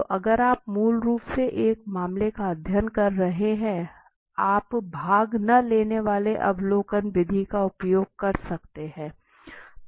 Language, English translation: Hindi, So if you are doing a basically a case study on the particular let say firm you can adopt even the non participating observational method right